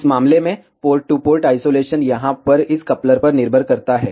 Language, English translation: Hindi, Port to port isolation in this case depends on this coupler over here